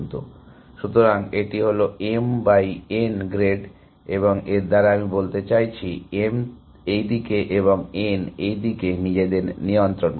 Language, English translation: Bengali, So, it is on m by n grade and by this I mean m adjusts in this direction and n adjust in this direction